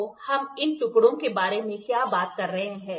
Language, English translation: Hindi, So, what are these pieces we are talking about